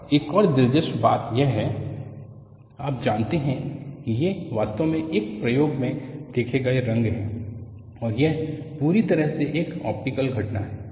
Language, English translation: Hindi, And another interesting point is these are colors actually seen in an experiment, and it is purely an optical phenomenon